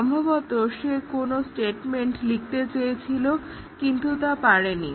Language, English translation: Bengali, Possibly he just was wanting to write some statement he did not